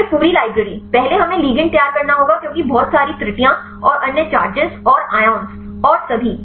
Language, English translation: Hindi, Then the whole library; first we have to prepare the ligands because lot of errors and other charges and ions and all